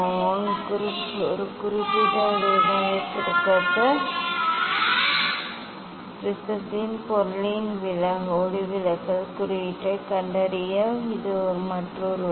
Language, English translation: Tamil, for; this is another way to find out the refractive index of the material of the prism for a particular wavelength